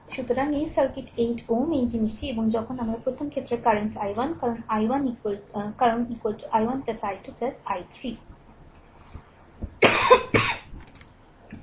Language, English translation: Bengali, So, this circuit 8 ohm this thing and when the first case the current is i 1 because i is equal to i 1 plus i 2 plus i 3 right